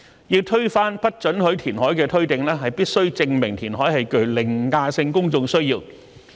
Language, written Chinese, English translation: Cantonese, 要推翻不准許填海的推定，必須證明填海是具凌駕性公眾需要。, The presumption against reclamation can only be rebutted by establishing an overriding public need for reclamation